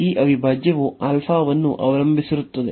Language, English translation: Kannada, This integral depends on alpha